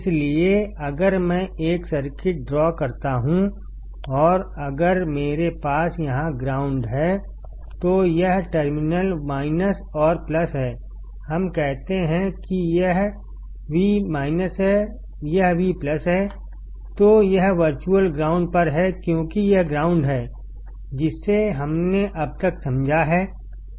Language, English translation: Hindi, So, if I draw a circuit and if I have ground here, then this terminal minus and plus; let us say this is V minus, this is V plus, then this is at virtual ground because this is ground, that is what we have understood until now